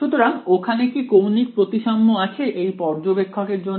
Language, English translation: Bengali, So, is there any angular symmetry for this observer